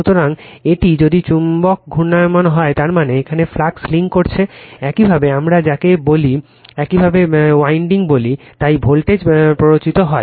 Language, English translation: Bengali, So, as it is if it magnet is revolving that means, flux linking here this your what we call this your what we call this winding, so voltage will be induced right